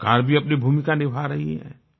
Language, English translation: Hindi, The government is also playing its role